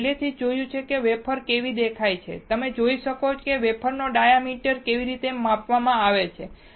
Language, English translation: Gujarati, We have already seen how wafers looks like, you can see the diameter of the wafer is measured like this